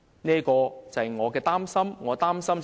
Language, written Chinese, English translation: Cantonese, 這正是我所擔心的。, This is precisely my worry